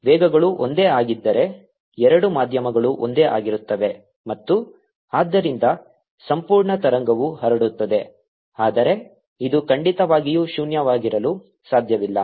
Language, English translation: Kannada, if the velocities are the same, two mediums are the same and therefore the, the entire wave, transmits, but this certainly cannot be zero